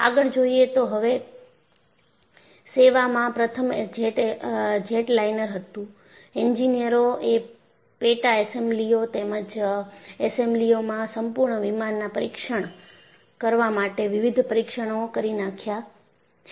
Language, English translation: Gujarati, Now, what you will have to look at is because it was the first jetliner into service, the engineers have deviced various tests to test the subassemblies, as well as assemblies, and also the full aircraft